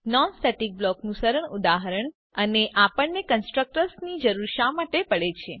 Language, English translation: Gujarati, Simple example of non static block And Why we need constructors